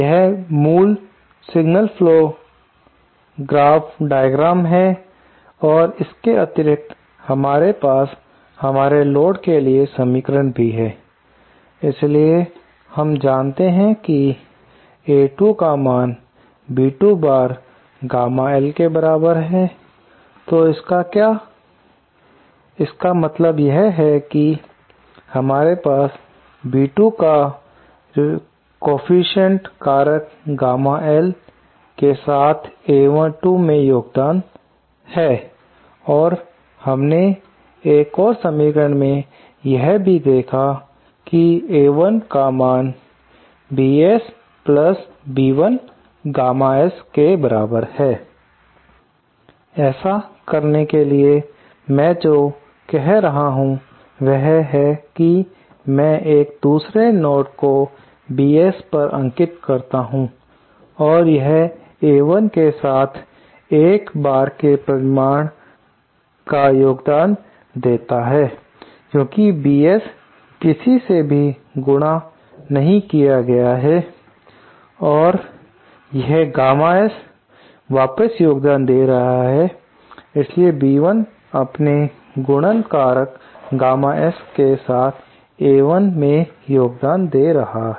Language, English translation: Hindi, This is the basic signal flow graph diagram and in addition to this, we also have the equation for our load, so we know that A2 is equal to B2 times gamma L, so then what that means is that we have B2 contributing to A2 with the multiplicative factor gamma L and we also have seen that there is another equation A1 equal to BS + B1 gamma S